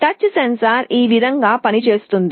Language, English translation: Telugu, Essentially a touch sensor works in this way